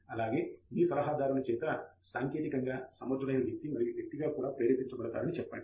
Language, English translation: Telugu, And also, say will be motivated by your advisor both as a technically capable person and also as a person